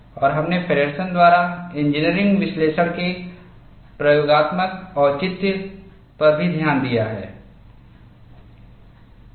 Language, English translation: Hindi, And we have also looked at the experimental justification of the engineering analysis by Feddersen